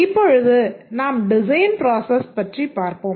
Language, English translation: Tamil, Let's look at the design process